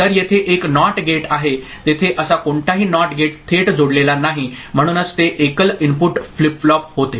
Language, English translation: Marathi, So, there was a NOT gate here there is no such NOT gate directly it is connected, so it becomes a single input flip flop right